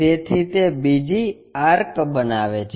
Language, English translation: Gujarati, So, it makes another arc